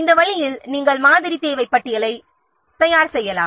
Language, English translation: Tamil, In this way, you can prepare the sample requirement list